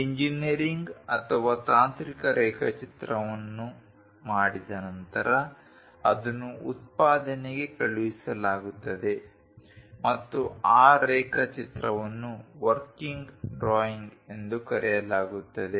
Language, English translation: Kannada, Once engineering or technical drawing is done, it will be sent it to production and that drawing will be called working drawings